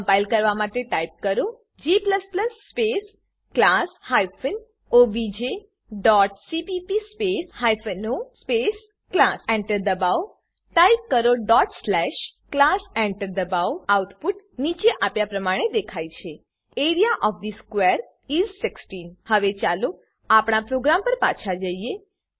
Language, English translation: Gujarati, To compile type g++ space class hyphen obj dot cpp space hyphen o space class Press Enter Type./class Press Enter The output is displayed as: Area of the square is 16 Now let us move back to our program